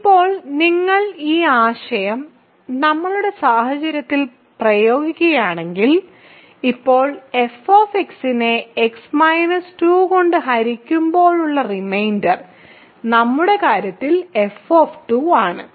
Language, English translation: Malayalam, So, now if you apply this idea to our situation in our case, the reminder when we divide f x by x minus 2 now, in our case x minus 2 is f of 2 right